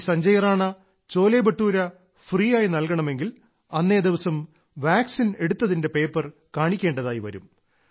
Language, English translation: Malayalam, To eat Sanjay Rana ji'scholebhature for free, you have to show that you have got the vaccine administered on the very day